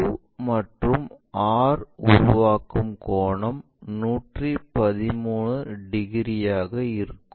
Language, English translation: Tamil, Now, if we are seeing this, this angle the angle made by Q and R will be around 113 degrees